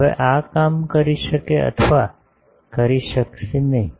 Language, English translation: Gujarati, Now, this may work, may not work